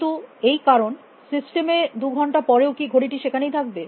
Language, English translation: Bengali, But, in the reason system after sometime after 2 hours will the watch still be there